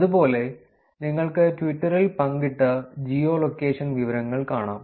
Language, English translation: Malayalam, Similarly, you can do the geo location information shared on Twitter